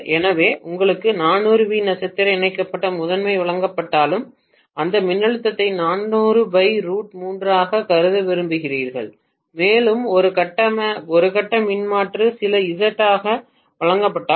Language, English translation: Tamil, So even though you may be given 400 volts star connected primary, you would like to treat that voltage as 400 divided by root 3 and if per phase impedance is given as some Z